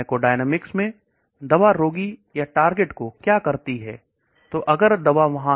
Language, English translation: Hindi, In pharmacodynamics what the drug does to the patient or the target